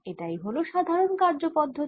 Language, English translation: Bengali, so this is a general strategy